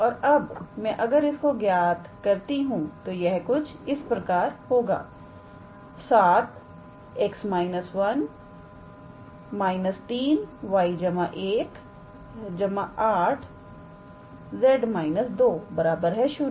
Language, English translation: Hindi, And now, if I calculate this, so this will be 7 x minus 1 minus 3 y plus 1 plus 8 z minus 2 equals to 0